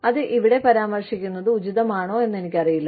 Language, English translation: Malayalam, I do not know, if should be mentioning, the name here